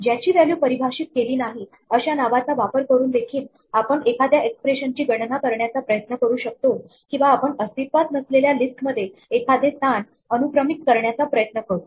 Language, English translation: Marathi, We could also be trying to compute an expression, using a name whose value has not been defined, or we could try to index a position in a list which does not exist